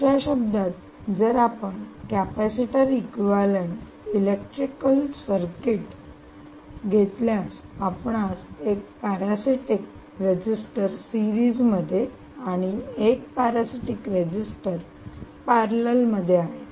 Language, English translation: Marathi, in other words, if you take a capacitors equivalent electrical circuit, you would put one parasitic resistor in series and one parasitic resistor in parallel